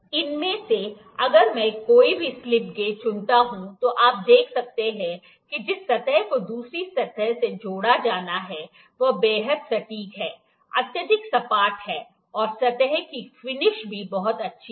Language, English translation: Hindi, If I pick any of this slip gauges, you can see the surface that has to be attached to the other surface is highly accurate, is highly flat, and the surface finish is also very good